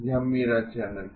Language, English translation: Hindi, This is my channel